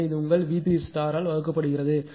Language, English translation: Tamil, So, this one divided by your V 3 conjugate